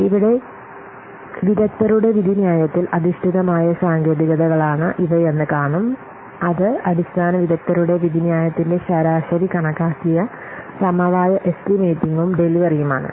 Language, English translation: Malayalam, Here we will see these are the techniques which are coming under expert judgment based techniques, that is basic expert judgment, weighted average estimating, consensus estimating and delivery